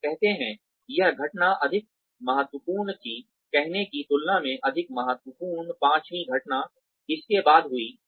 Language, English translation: Hindi, And say, this incident was more important, more significant than say, the fifth incident, that took place after this